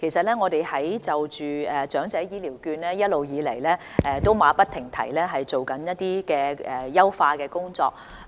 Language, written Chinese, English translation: Cantonese, 其實在長者醫療券方面，我們一直馬不停蹄地進行優化工作。, In fact regarding HCVs we have been working on enhancement non - stop